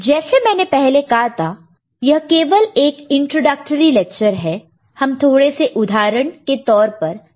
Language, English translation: Hindi, As I said this is an introductory lecture we are looking at some example cases